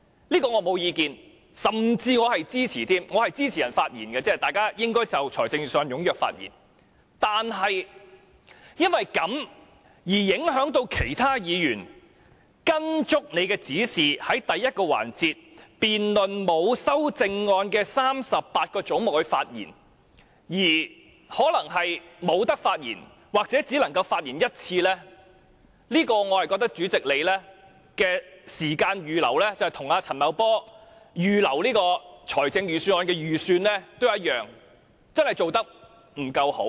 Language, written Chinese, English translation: Cantonese, 我對此並無意見，我甚至表示支持，我支持議員就預算案踴躍發言，但如果因此而影響其他議員，令他們在按照你的指示，在第一個環節就沒有修正案的38個總目的辯論中發言時，可能不能發言或只能發言1次，就這一點來說，我認為主席在時間的預留上，與陳茂波在預算案中所做的預算一樣，真的做得不夠好。, I support Members speaking enthusiastically on the Budget . But other Members may hence be affected because when they in accordance with your instruction speak in the debate on the 38 heads with no amendment in the first session they may not be able to speak or may speak only once . In that case and insofar as this point is concerned I think what the President has done in the allocation of time―just as what Paul CHAN did in formulating the estimates of expenditure for the Budget―is really not good enough